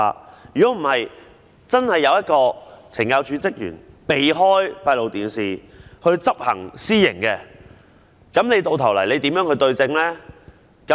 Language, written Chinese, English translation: Cantonese, 否則，如果真的有懲教署職員避開閉路電視來執行私刑，你又如何對證呢？, Otherwise if a CSD officer really evades an CCTV and inflicts extrajudicial punishment how can it be proved?